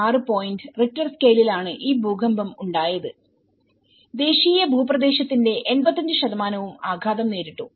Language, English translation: Malayalam, 6 points Richter scale earthquake has been hitted and about 85% of the national territory has been under impact